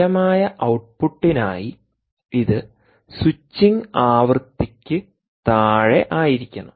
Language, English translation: Malayalam, for stable output, it should be below the switching frequency